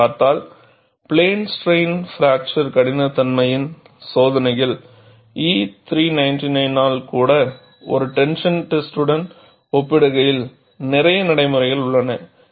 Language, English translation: Tamil, If you look at, plane strain fracture toughness tests, even by E 399, lot of procedures in comparison to a tension test